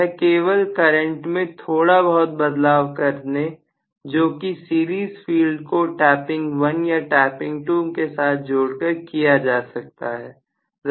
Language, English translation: Hindi, So, that is essentially going to only modify the current very very slightly by adjusting this series field either in tapping 1 or tapping 2 or the initial position